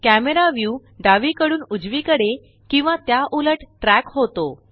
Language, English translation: Marathi, The Camera view moves left to right and vice versa